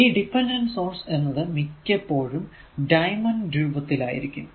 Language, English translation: Malayalam, So, now dependent sources are usually these dependent sources are usually a diamond shape